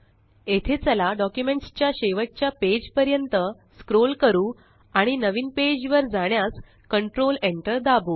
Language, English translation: Marathi, Here let us scroll to the last page of the document and press Control Enter to go to a new page